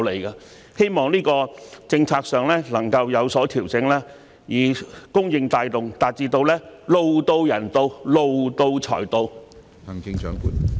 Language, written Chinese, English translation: Cantonese, 我希望政策上能有所調整，改以供應帶動，從而達致"路到人到，路到財到"。, I hope that the policy can be adjusted with the adoption of a supply - driven approach so that with the building of roads people will come and so will money